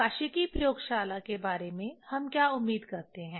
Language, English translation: Hindi, What we expect about the optics laboratory